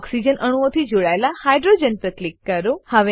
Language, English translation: Gujarati, Click on the hydrogen attached to oxygen atoms